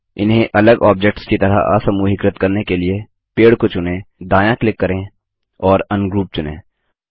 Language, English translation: Hindi, To ungroup them as separate objects, select the tree, right click and select Ungroup